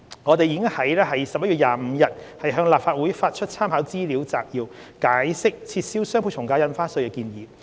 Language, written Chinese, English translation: Cantonese, 我們已於11月25日向立法會發出參考資料摘要，解釋撤銷雙倍從價印花稅的建議。, We issued a Legislative Council brief to the Legislative Council on 25 November explaining the proposal of abolishing DSD